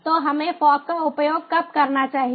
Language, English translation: Hindi, so when should we use fog